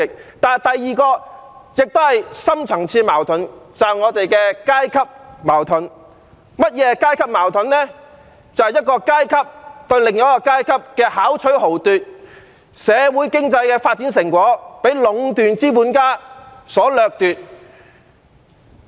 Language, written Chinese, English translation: Cantonese, 此外，第二點亦是一個深層次矛盾，正是我們的階級矛盾，即一個階級對另一個階級的巧取豪奪，社會經濟發展的成果被壟斷資本家所掠奪。, The second point also concerns a deep - seated conflict―our social - class conflict to be precise . It refers to a social class exploitation of another by hook or by crook and the fruit of our socio - economic development has been harvested solely by monopoly capitalists